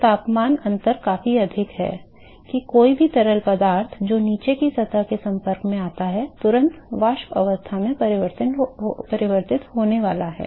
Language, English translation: Hindi, So, the temperature difference is significantly higher that any fluid which comes in contact with the bottom surface is going to be instantaneously converted into its vapor stage